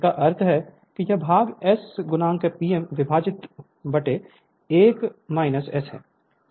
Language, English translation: Hindi, That means this part is equal to S into P m divided by 1 minus S right